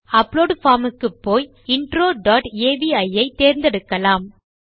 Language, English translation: Tamil, So lets go back to the upload form and lets choose intro dot avi